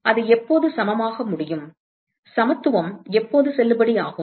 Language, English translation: Tamil, So, when can it be equal, when can the equality be valid